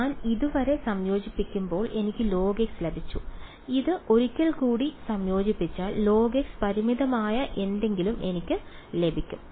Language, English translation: Malayalam, So, when I integrate it with this once I got log x if I integrate this once more I will get something finite integral of log x is finite